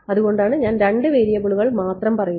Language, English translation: Malayalam, So, that is why I am saying only two variables